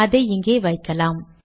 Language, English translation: Tamil, Put it here